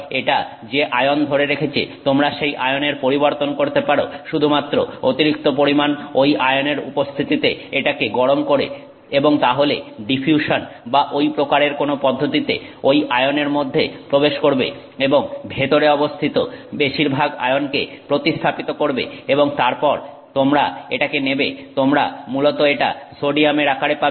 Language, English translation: Bengali, You can change the ion that it is holding by simply boiling it in excess of that ion and then you know by diffusion and such phenomena that ion will go in and it will replace most of the ions that are present inside and then eventually you pick it up you essentially have it in the sodium form